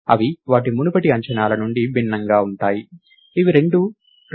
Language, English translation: Telugu, They are different from their earlier estimates, which was both 2